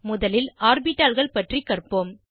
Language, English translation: Tamil, Let us first learn about orbitals